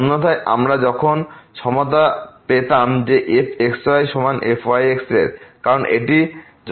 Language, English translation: Bengali, Otherwise we would have got the equality there that is equal to , because that is a sufficient condition